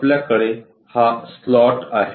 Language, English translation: Marathi, We have this kind of slot also